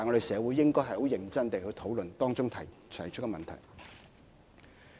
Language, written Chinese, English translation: Cantonese, 社會應該很認真地討論當中提出的問題。, The public should seriously discuss the issues raised